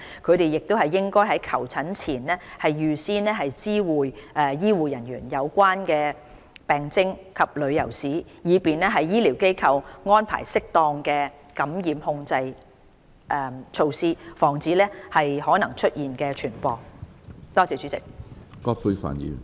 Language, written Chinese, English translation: Cantonese, 他們亦應在求診前預先知會醫護人員有關的病徵及旅遊史，以便醫療機構安排適當的感染控制措施，防止可能出現的病毒傳播。, They should also report their symptoms and prior travel history to the health care staff so that appropriate infection control measures can be implemented at the health care facilities to prevent any potential spread